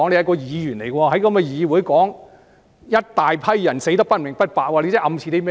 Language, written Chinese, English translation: Cantonese, 他作為一位議員，竟在議會上說"一大批人死得不明不白"，他這是暗示甚麼呢？, As a Member he dares to say that a large group of people had died for unknown reasons in the legislature . What is he suggesting?